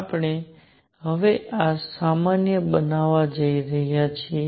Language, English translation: Gujarati, We are going to now generalized this